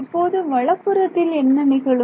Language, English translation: Tamil, So, now, what happens to the right hand side